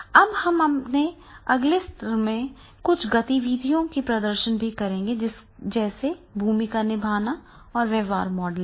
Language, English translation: Hindi, Now we will also demonstrate certain activities in our the next session and in the role playing and behavioral modeling